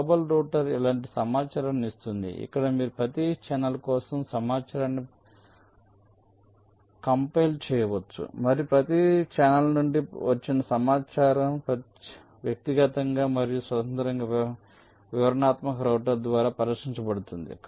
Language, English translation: Telugu, the global router will give information like this, from where you can compile information for every channel and the information from every channel will be solved in individually and independently by the detailed router